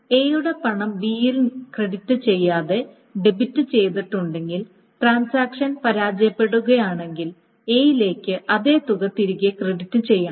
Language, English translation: Malayalam, So if A's money has been debited without crediting B and then the transaction fails, then A's money must be credited back the same amount, etc